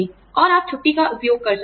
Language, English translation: Hindi, And, you could use, vacation and leave days